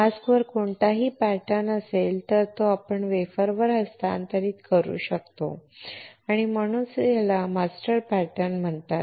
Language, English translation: Marathi, Whatever pattern is there on the mask we can transfer it onto the wafer and which is why these are called master patterns